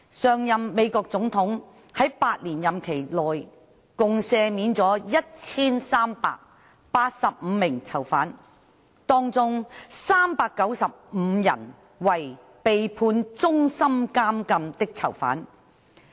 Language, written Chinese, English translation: Cantonese, 上任美國總統在8年任期內共赦免了1385名囚犯，當中395人為被判終身監禁的囚犯。, During his eight - year tenure the last President of the United States pardoned a total of 1 385 prisoners 395 of whom being prisoners sentenced to life imprisonment